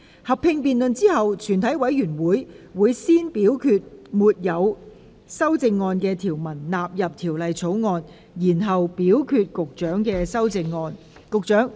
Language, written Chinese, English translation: Cantonese, 合併辯論結束後，全體委員會會先表決沒有修正案的條文納入《條例草案》，然後表決局長的修正案。, Upon the conclusion of the joint debate the committee will first vote on the clauses with no amendment stand part of the Bill and then vote on the Secretarys amendments